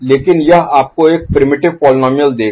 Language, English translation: Hindi, So, but this will give you a primitive polynomial, right